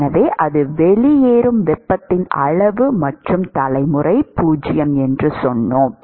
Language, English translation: Tamil, So, that is the amount of heat that is going out plus we said generation is 0